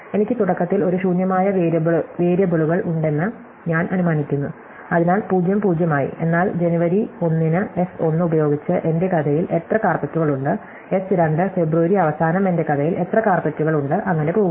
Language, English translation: Malayalam, So, I initially assume that I have an empty warehouse, so s 0 as 0, but s 1 with say at the end of January how many carpets am I storing, s 2 with say at the end of February how many carpets am I storing and so on